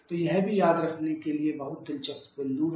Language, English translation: Hindi, So, this is also very interesting point to remember